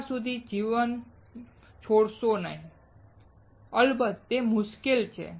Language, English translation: Gujarati, Do not give up life, it is hard of course